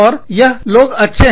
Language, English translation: Hindi, And, these people are good